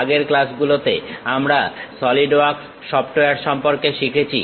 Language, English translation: Bengali, In the earlier classes we have learned about Solidworks software